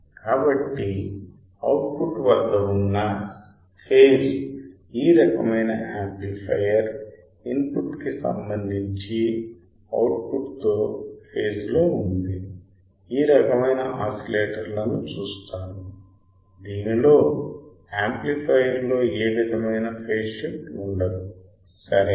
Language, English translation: Telugu, So, this kind of amplifier where there is a phase at the output the output signal is in phase with respect to input we will see this kind of oscillator in which the amplifier will not have any kind of phase shift ok